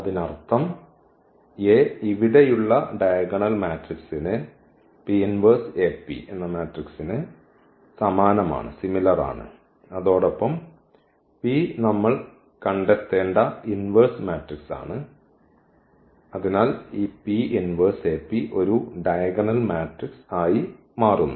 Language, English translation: Malayalam, So, the meaning this A is similar to the diagonal matrix here; AP inverse AP and this P is invertible matrix which we have to find, so that this P inverse AP becomes a diagonal matrix